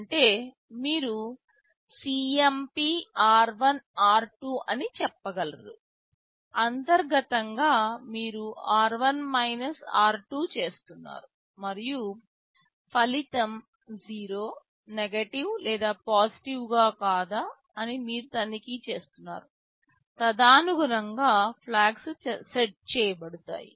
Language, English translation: Telugu, Like you can say CMP r1,r2; that means, internally you are doing r1 r2 and you are checking whether result is 0, negative or positive, accordingly the flags will be set